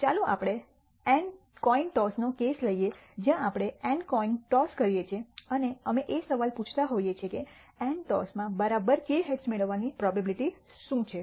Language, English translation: Gujarati, Let us take the case of n coin tosses of an experiment where we have do n coin tosses and we are asking the question what is the probability of obtaining exactly k heads in n tosses